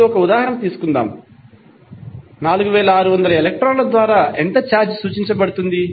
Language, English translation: Telugu, Let us take one example, how much charge is represented by 4600 electrons